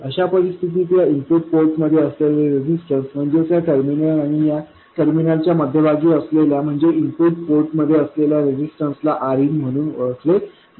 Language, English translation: Marathi, In such a situation, the resistance that you see into the input port, that is between this terminal and this terminal, this is known as RN, and between this terminal and this terminal, this is R out